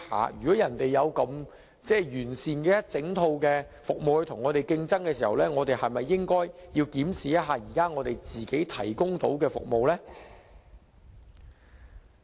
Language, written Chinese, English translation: Cantonese, 既然人家有如此完善的一整套服務與我們競爭，我們是否應該檢視現時所提供的服務呢？, Singapore now seeks to compete with us by providing a full set of comprehensive services . In that case shouldnt we review our existing services?